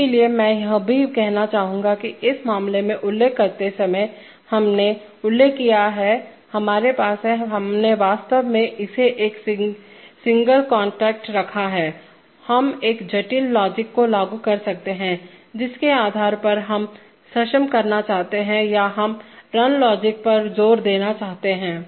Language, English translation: Hindi, So I would also like to assert, mention that while in this case, we have mentioned, we have, we have actually put it by a single contact, we could implement a complex logic based on which we want to enable or we want to assert the run logic